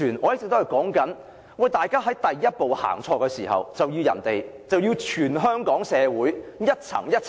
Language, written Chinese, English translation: Cantonese, 我一直指出，第一步走錯了，卻牽連全香港社會各階層......, I have been noting that the first wrong step has affected all sectors of the Hong Kong community